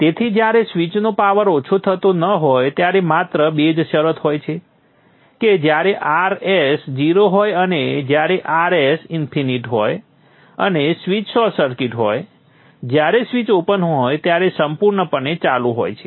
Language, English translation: Gujarati, So the only two conditions when the switch is not dissipating power is when RS is zero and when RS is infinity and the switch is short circuit fully on and the switch is open